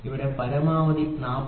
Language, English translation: Malayalam, So, here maximum is 40